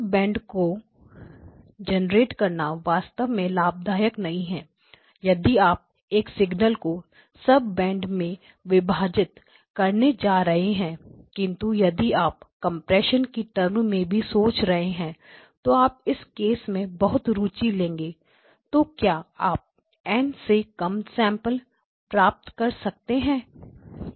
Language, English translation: Hindi, So, the generation of sub bands is really not beneficial at all so if you think of the primary motivation for a splitting a signal in sub bands one could be for spectral analysis but if you were also thinking of it in terms of compression you would be very much interested in the case where you are, so now can you go to less than n samples per second